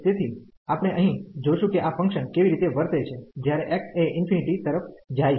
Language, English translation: Gujarati, So, here we will see that how this function is behaving as x approaches to infinity